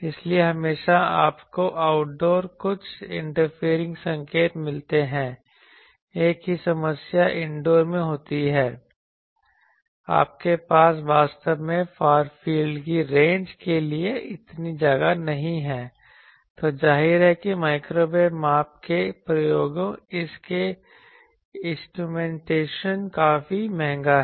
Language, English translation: Hindi, So, always you get some interfering signals in outdoor, so is the indoor safe problem is in indoor you do not have that much space to have really a far field range, then obviously microwave measurement experiments it is instrumentation there quite expensive